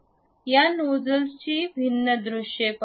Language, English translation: Marathi, Let us look at different views of this nozzle